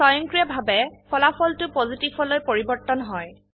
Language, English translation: Assamese, The result automatically changes to Positive